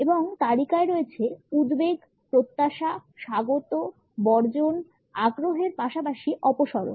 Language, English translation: Bengali, And the list includes anxiety, anticipation, welcome, exclusion, interest as well as retreat